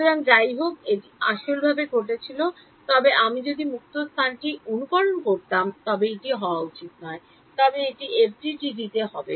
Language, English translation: Bengali, So, this anyway happens physically, but if I was simulating free space it should not happen, but it will happen in FDTD